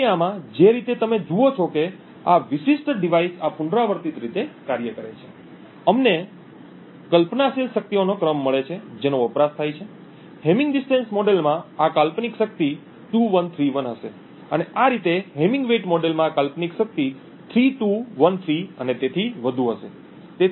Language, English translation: Gujarati, So in this way you see as this particular device is operating on in this iterative manner, we get a sequence of hypothetical powers that are consumed, this hypothetical power in the hamming distance model would be 2 1 3 1 and so on, in the hamming weight model this hypothetical power would be 3 2 1 3 and so on